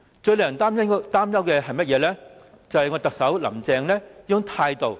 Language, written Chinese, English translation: Cantonese, 最令人擔心的是甚麼呢？便是特首林鄭的態度。, What is most worrying is the attitude of Chief Executive Carrie LAM